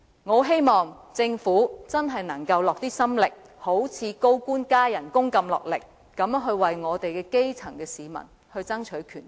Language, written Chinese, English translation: Cantonese, 我很希望政府可以花些心力，好像處理高官加薪般，落力為我們的基層市民爭取權益。, I hope the Government will make an extra effort to strive for the rights and interests of the grass roots as it has done in pursuing the salary increase for senior government officials